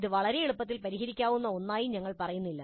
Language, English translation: Malayalam, We are not saying that it should be something which can be solved very easily